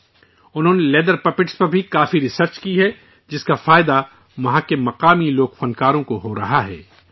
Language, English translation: Urdu, He has also done a lot of research on leather puppets, which is benefitting the local folk artists there